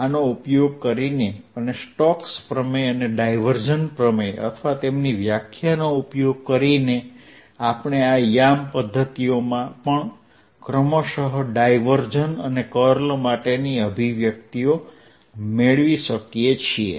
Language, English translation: Gujarati, using these and using the stokes theorem and divergence theorem or their definition, we can derive the expressions for the gradient, divergence and curl also in these coordinate systems